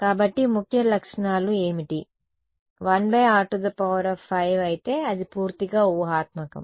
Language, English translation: Telugu, So, what are the key features is 1 by r 5 then it is purely imaginary right